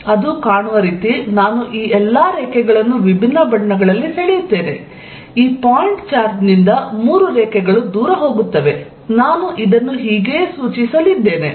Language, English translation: Kannada, And the way it is going to look, I will draw it in different color is all these lines, three lines going away from this point charge, this is how I am going to denote it